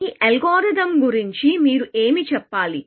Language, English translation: Telugu, What do you have to say about this algorithm